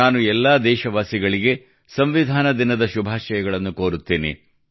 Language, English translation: Kannada, I extend my best wishes to all countrymen on the occasion of Constitution Day